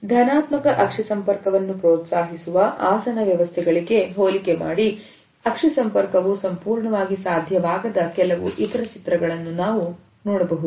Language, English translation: Kannada, In comparison to these seating arrangements where a positive eye contact is encouraged, we can also look at certain other images where the eye contact is not fully possible